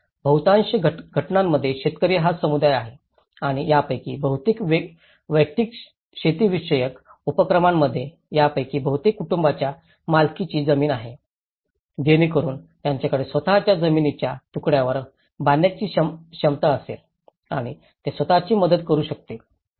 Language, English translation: Marathi, Now, in most of the cases being a farmer’s community and most of these individual agricultural activities, most of these families own land so that at least they have a capacity to build on their own piece of land and they could able to develop self help construction for the following reasons